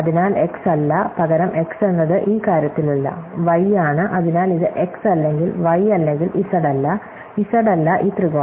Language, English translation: Malayalam, So, not x is replace by not x is in this thing, y and so this not x or y or z not z is this triangle